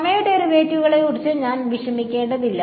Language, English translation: Malayalam, I do not have to worry about time derivatives